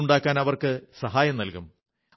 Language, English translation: Malayalam, They will be assisted in construction of a house